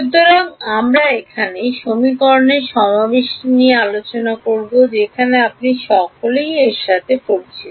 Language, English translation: Bengali, So, here is where we discuss the assembly of equations you are all familiar with this